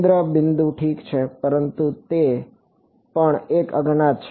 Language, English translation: Gujarati, Well centre point ok, but that is also an unknown